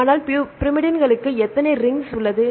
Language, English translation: Tamil, Right, but the pyrimidine they have how many rings